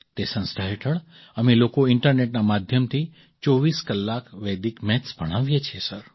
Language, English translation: Gujarati, Under that organization, we teach Vedic Maths 24 hours a day through the internet, Sir